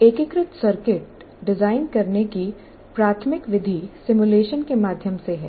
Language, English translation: Hindi, So the main method of designing an integrated circuit is through simulation